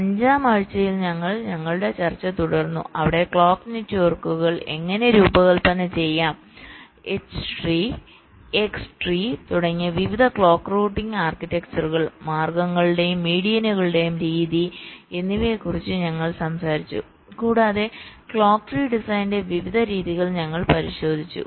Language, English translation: Malayalam, so we continued our discussion in week five where we talked about how to design the clock networks, various clock routing architectures like h tree, x tree, method of means and medians, etcetera, and we looked at the various methods of clock tree design and the kind of hybrid approaches that are followed to minimize the clocks skew